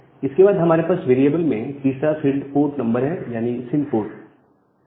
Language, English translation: Hindi, And then I have the port number in the variables sin port the port number